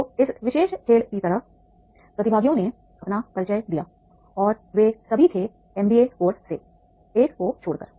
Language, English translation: Hindi, So like in this particular game the participants have introduced themselves and all of them were from the MBA course except one